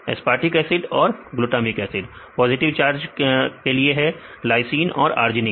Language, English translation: Hindi, Aspartic acid and glutamic acid; Glutamic acid and aspartic acid positive charged: lysine and argnine